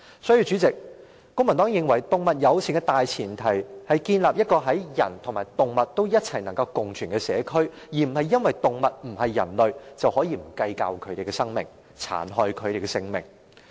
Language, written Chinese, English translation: Cantonese, 代理主席，公民黨認為，動物友善政策的大前提是建立人類和動物能夠共存的社區，而並非因為動物不是人類，便不計較牠們的生命，殘害牠們的性命。, Deputy President the Civic Party thinks that any animal - friendly policy should be premised on the idea of building a community in which humans and animals can coexist as opposed to having no regard for and brutally harming the lives of animals just because they are not humans